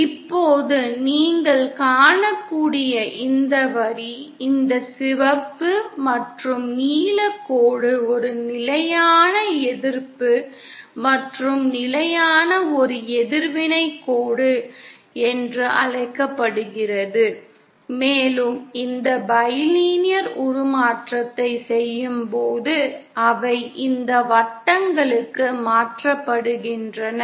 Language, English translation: Tamil, Now this line as you can see, this red and blue line is what is called as a constant resistance and constant a constant reactance line and upon doing this bilinear transformation, they are transformed to these circles